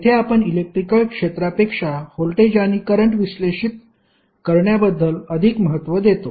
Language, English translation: Marathi, There we are more interested in about analysing voltage and current than the electric field